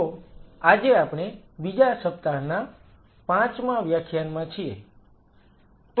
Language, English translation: Gujarati, So, today we are into the fifth lecture of the second week